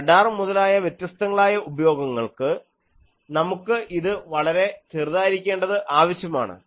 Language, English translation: Malayalam, And in radars, in various applications, we require it to be much lower